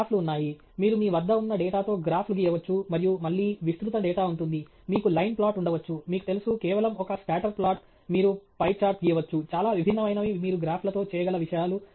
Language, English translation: Telugu, There are graphs; you can draw graphs with the data that you have and graphs again there are wide range of data you can have a line plot, you can have, you know, just a scatter plot, you can draw pie chart, lot of different things you can do with graphs